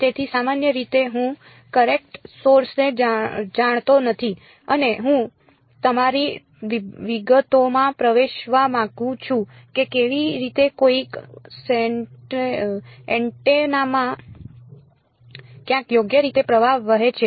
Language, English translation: Gujarati, So, typically I do not know the current source and I do want to get into your details how the current is flowing in some antenna somewhere right